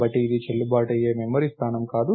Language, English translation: Telugu, So, its not a valid memory location